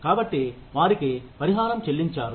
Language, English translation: Telugu, So, they have been compensated